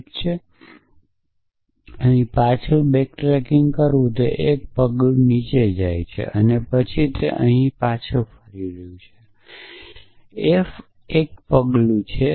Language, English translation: Gujarati, Well, where is back tracking here goes down 1 step and it is back tracking here it comes f 1 step